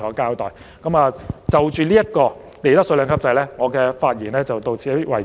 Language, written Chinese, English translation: Cantonese, 我就利得稅兩級制安排的發言到此為止。, My speech on the arrangements under the two - tiered profits tax rates regime ends here